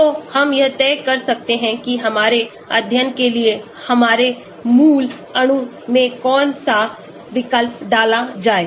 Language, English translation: Hindi, So, we can decide which substituent to put into our parent molecule for our study